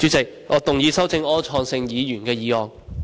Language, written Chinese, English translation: Cantonese, 主席，我動議修正柯創盛議員的議案。, President I move that Mr Wilson ORs motion be amended